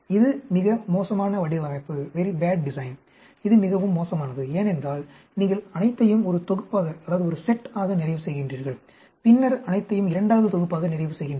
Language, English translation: Tamil, This is a very bad design; this is extremely bad because you are completing all of one set and then all of second set